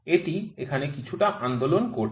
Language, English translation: Bengali, It is making some movement here